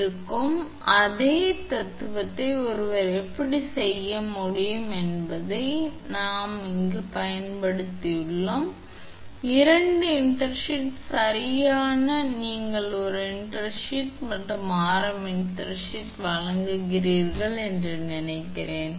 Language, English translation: Tamil, So, how will how one can do this same philosophy we will use there it is using I think two intersheath right you provided with an one intersheath and intersheath of radius r1 right